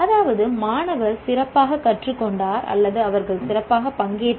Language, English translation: Tamil, Can that, that is students have learned better or they participated better